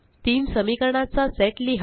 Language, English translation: Marathi, Write a set of three equations